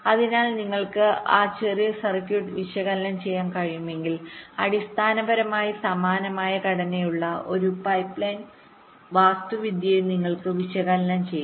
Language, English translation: Malayalam, so if you can analyse that small circuit, you can also analyse, flip analyse a pipeline kind of architecture which basically has a very similar structure